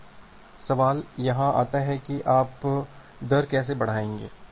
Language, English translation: Hindi, Now, the question comes here that how will you increase the rate